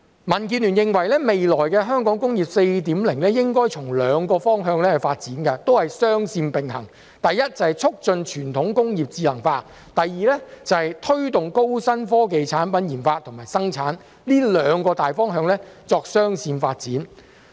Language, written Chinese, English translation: Cantonese, 民建聯認為，未來的香港"工業 4.0" 應該從兩個方向發展，雙線並行：第一，促進傳統工業智能化；第二，推動高新科技產品研發及生產，這兩個大方向作雙線發展。, First the promotion of intelligentization of traditional industries . Second to the promotion of the research development and production of products with new and high technology . These two major development directions should go in parallel